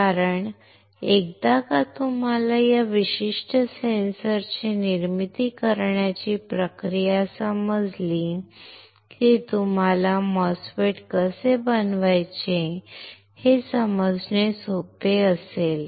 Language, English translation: Marathi, Because once you understand the process of fabricating this particular sensor you will be it will be easy for you to understand how to fabricate a MOSFET